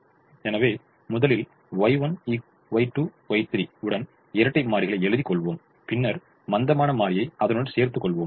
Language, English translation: Tamil, so we will first write the dual with y one, y two, y three, and later we have added the slack variable